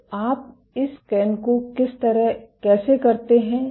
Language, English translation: Hindi, So, how do you do this scan